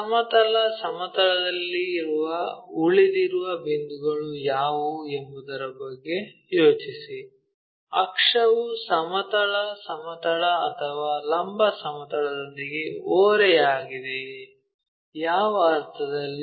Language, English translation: Kannada, Think about it what are the points resting on horizontal plane, is the axis incline with the horizontal plane or vertical plane